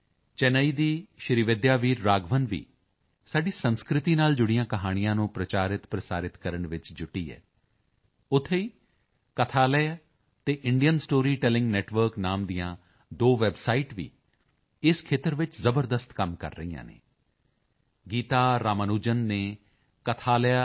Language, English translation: Punjabi, Srividya Veer Raghavan of Chennai is also engaged in popularizing and disseminating stories related to our culture, while two websites named, Kathalaya and The Indian Story Telling Network, are also doing commendable work in this field